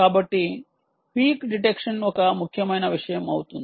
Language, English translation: Telugu, so peak detection becomes an important thing